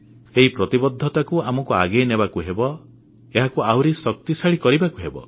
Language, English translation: Odia, We have to carry forward this commitment and make it stronger